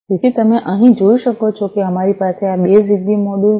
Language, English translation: Gujarati, So, as you can see over here we have these two ZigBee modules